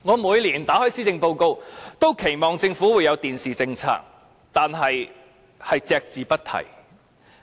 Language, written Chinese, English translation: Cantonese, 每年閱讀施政報告時，我都期望政府會提出其電視政策，但當局卻一直隻字不提。, I always look forward to the announcement of the Governments policy on the television industry during the delivery of the policy address every year but not a single word has been mentioned all these years